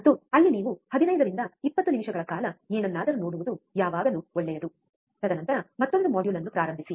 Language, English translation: Kannada, And there it is always good that you look at something for 15 to 20 minutes take a break, and then start another module